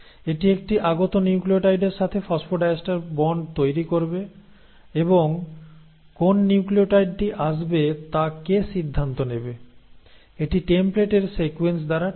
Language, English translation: Bengali, So this will now form of phosphodiester bond with a new nucleotide which is coming in and what will decide which nucleotide will come in; that is decided by the sequences on the template